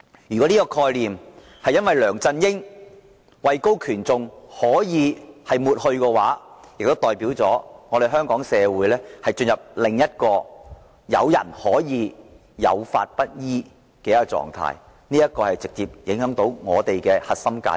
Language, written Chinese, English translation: Cantonese, 如果這個概念可以因梁振英位高權重而抹去，即代表香港社會進入了有人可以有法不依的狀態，直接損害本港的核心價值。, If this concept can be erased just because LEUNG Chun - ying is high - powered it means that Hong Kong society has gone into a state where someone is allowed to disobey the law and this will directly damage the core values of Hong Kong